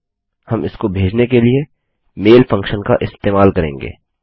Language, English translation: Hindi, We will use the mail function to send this out